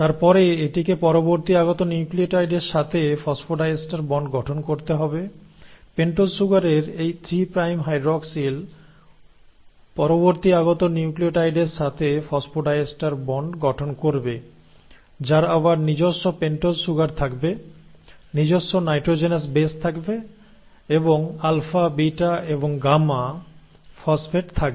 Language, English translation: Bengali, And then it has to form phosphodiester bond with the next incoming nucleotide; this 3 prime hydroxyl in the pentose sugar will form the phosphodiester bond with the next incoming nucleotide which again will have its own pentose sugar, will have its own nitrogenous base and will have alpha, beta and gamma phosphates